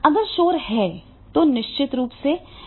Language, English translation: Hindi, If that noise is there, then definitely it will not work